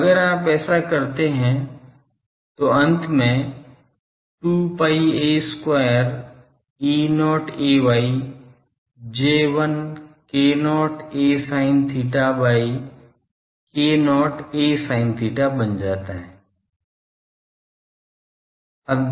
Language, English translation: Hindi, So, if you do that it finally, becomes 2 pi a square E not a y J1 k not a sin theta by k not a sin theta